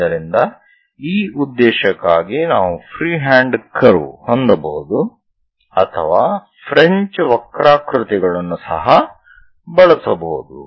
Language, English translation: Kannada, So, if we are going to have a free hand curve for this purpose, one can use French curves also